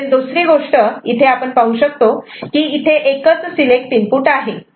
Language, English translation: Marathi, The other thing that we see that there is only one select input ok